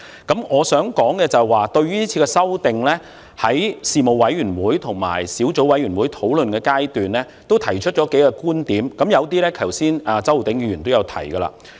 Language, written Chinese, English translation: Cantonese, 對於這次修訂，我在事務委員會和小組委員會討論階段提出了數個觀點，有些剛才周浩鼎議員也提過。, Regarding this amendment I have raised a number of points during the discussions at the Panel and at the Subcommittee some of which have been mentioned earlier by Mr Holden CHOW